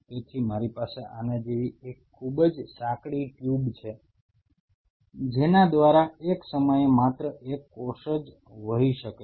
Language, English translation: Gujarati, So, I have something like this a very narrow tube through which only one cell at a time can flow